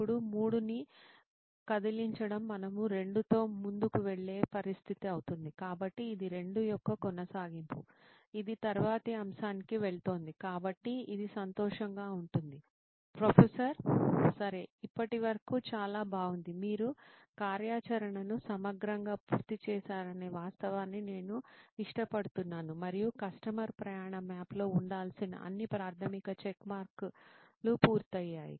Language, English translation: Telugu, Now moving 3 would be a situation where we are going ahead with 2 so this is a continuation of 2 that is moving on to the next topic, so it would be a happy Ok, so far so good I again I like the fact that you comprehensively finished the activity, and all the basic checkmarks of what a customer journey map should have is complete